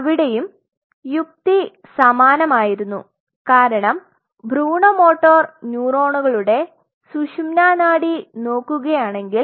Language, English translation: Malayalam, So, there also the logic was same because when you look at this spinal cord of embryonic motor neurons